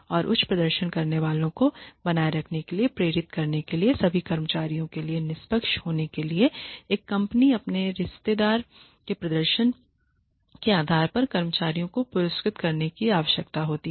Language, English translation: Hindi, And to attract retain and motivate high performers and to be fair to all employees a company needs to reward employees on the basis of their relative performance